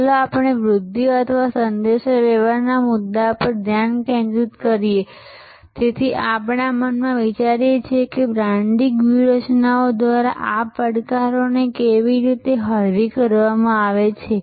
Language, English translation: Gujarati, Let us focus on that, issue of promotion or communication and let is therefore, think in our minds, that how these characteristics this challenges are mitigated by branding strategies